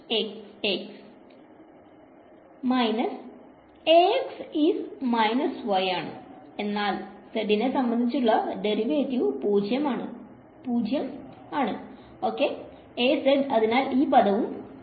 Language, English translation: Malayalam, Minus; A x is minus y, but the derivative with respect to z is 0, A z is 0 so, this term is also 0